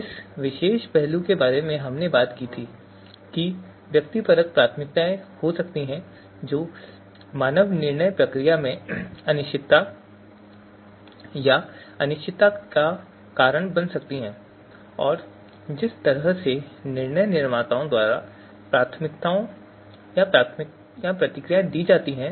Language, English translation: Hindi, So this particular aspect we talked about that there could be subjective you know you know preferences which might lead to impreciseness or uncertainty in the human decision process and the way the preferences or responses are given by decision makers